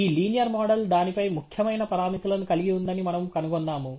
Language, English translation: Telugu, We have discovered that this linear model as significant parameters on it